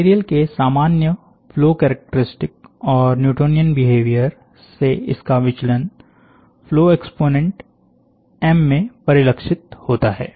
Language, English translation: Hindi, The general flow characteristics of the material, and its deviation from the Newtonian behavior is reflected in the flow exponent m